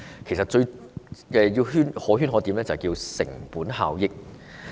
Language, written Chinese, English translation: Cantonese, 其實，當中最可圈可點的就是"成本效益"。, Among these principles cost - effectiveness is the most debatable